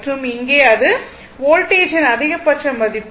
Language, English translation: Tamil, So, this is the peak value of the voltage